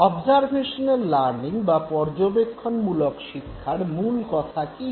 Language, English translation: Bengali, What does observational learning say